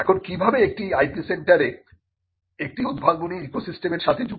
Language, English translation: Bengali, Now, how is an IP centre connected to an innovation ecosystem